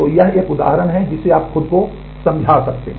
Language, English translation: Hindi, So, this is one example you can just convince yourself